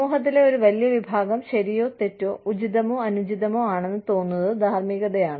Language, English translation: Malayalam, Morality is, what a larger chunk of the society feels is, right or wrong, appropriate or inappropriate